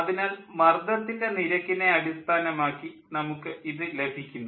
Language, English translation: Malayalam, so in terms of pressure ratio, we will get it